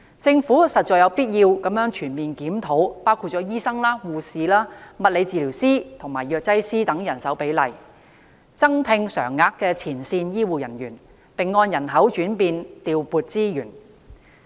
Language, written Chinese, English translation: Cantonese, 政府實在有必要全面檢討包括醫生、護士、物理治療師及藥劑師等人手的比例、增聘常額前線醫護人員，並按人口轉變調撥資源。, The Government must launch a full - scale review on the manpower levels of doctors nurses physiotherapists and pharmacists the employment of additional front - line healthcare staff on a permanent basis and resources deployment in response to demographic changes